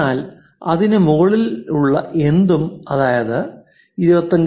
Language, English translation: Malayalam, But anything above that maybe 25